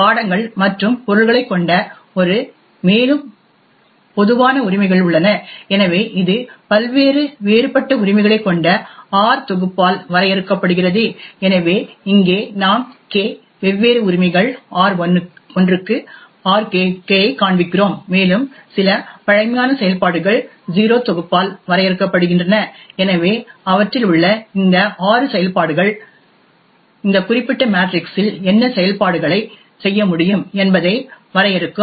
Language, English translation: Tamil, A more formal representation of this Access Matrix is shown over here where we define the Access Matrix as a matrix A comprising of subjects and objects, further we have generic rights which are present, so this is defined by the set R comprising of various different rights, so here we show K different rights, R1 to RK and we have some primitive operations which is defined by the set O, so these operations there are six of them which would define what operations can be performed on this particular matrix